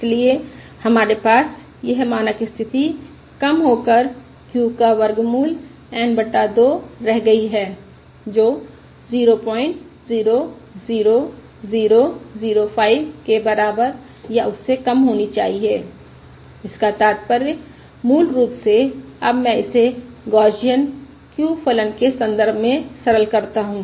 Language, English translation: Hindi, this reduces to the standard condition that q of square root of n by 2 has to be less than or equal to point 00005, which implies basically now I simplify it in terms of the Gaussian q function Square root of n by 2 is greater than or equal to q